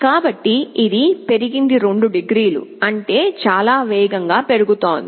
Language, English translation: Telugu, So, it has increased by 2 degrees; that means, increasing very fast